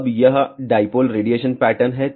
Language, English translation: Hindi, Now, this is the dipole radiation pattern